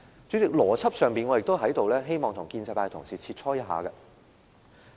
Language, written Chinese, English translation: Cantonese, 主席，邏輯上，我也希望跟建制派同事切磋一下。, President I would also like to discuss with pro - establishment Members the issue of logic